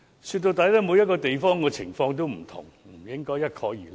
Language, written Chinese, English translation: Cantonese, 說到底，每個地方的情況也不同，不應該一概而論。, In the final analysis the situation in each place varies and should not be generalized to draw a conclusion